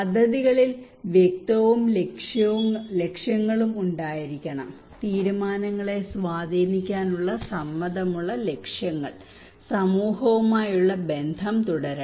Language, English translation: Malayalam, Clear and objectives should be there of the projects, agreed objectives power to influence the decisions, continued relationship with the community